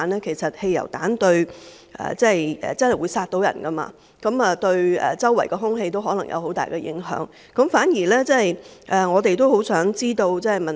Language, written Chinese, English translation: Cantonese, 其實，汽油彈真的能夠殺人，對周圍的空氣亦可能有很大影響，而我們也很想知道這方面的情況。, In fact petrol bombs can really be lethal . Moreover petrol bombs may seriously affect the air quality in the surrounding environment and we earnestly want to know the situation in this respect